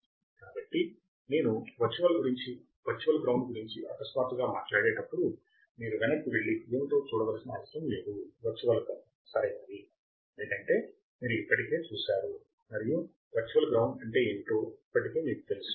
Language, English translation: Telugu, So, when I talk suddenly about virtual ground, you do not have to go back and see what is virtual ground right, because you have already seen and you have already know what exactly virtual ground is